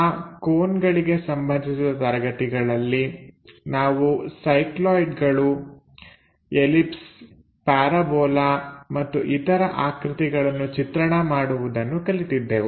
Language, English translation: Kannada, In that conic sections we have covered like drawing cycloids ellipse parabola hyperbola and others